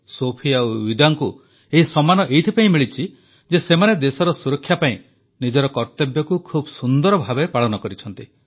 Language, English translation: Odia, Sophie and Vida received this honour because they performed their duties diligently while protecting their country